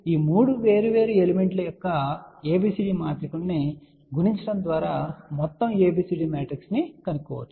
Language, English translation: Telugu, That to find out the overall ABCD matrix what we simply need to do it is multiply ABCD matrices of these 3 separate elements